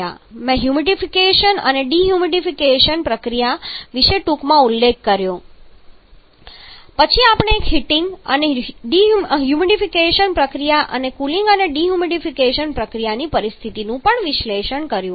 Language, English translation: Gujarati, I am horribly mentioned about the heating and sorry humidification and dehumidification process them have analysis on heating and humidification process and a situation of cooling and dehumidification process